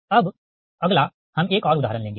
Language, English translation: Hindi, so next one: we will take another